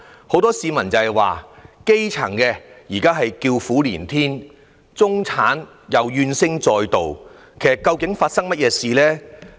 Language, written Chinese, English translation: Cantonese, 很多市民表示，基層現在叫苦連天，中產怨聲載道，究竟出了甚麼問題？, Many people ask now that the grass roots grumble and the middle class moan what has actually gone wrong?